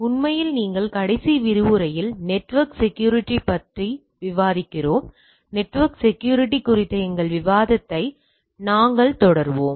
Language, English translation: Tamil, Actually we are discussing on Network Security in the last lecture; we will be continuing our discussion on network security